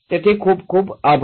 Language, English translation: Gujarati, So thank you very much